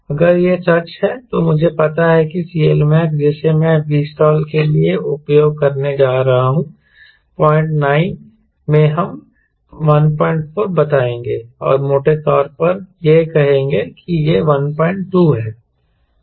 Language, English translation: Hindi, if that is true, then i know at c l max which i going to use for v stall will be point nine into, lets say, one point four and roughly, let us say it is one point two